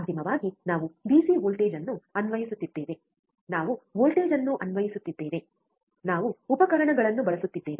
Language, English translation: Kannada, Because finally, we are applying DC voltage, we are applying voltage, we are using the equipment